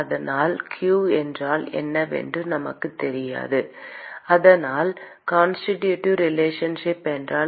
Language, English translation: Tamil, so we do not know what q is, so if there is a constitutive relationship